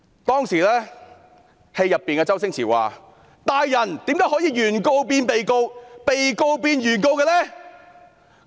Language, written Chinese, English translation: Cantonese, 當時，戲中的周星馳說："大人，怎可以把原告變被告，被告變原告呢？, Stephen CHOW said in the movie Your Highness how can the plaintiff be turned into the defendant and the defendant into the plaintiff?